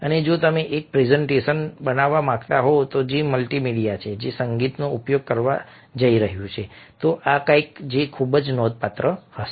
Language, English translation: Gujarati, and if you are to make a presentation which is multimedia, which is going to make use of music, then this is something which is going to be very significant